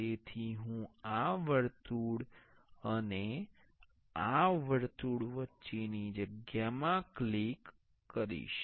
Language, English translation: Gujarati, So, I will click in a space between this circle and this circle